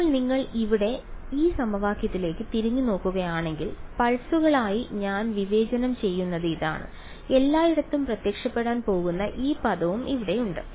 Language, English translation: Malayalam, Now if you look back at this equation over here, this is what I am discretising as pulses there is this term also over here which is going to appear everywhere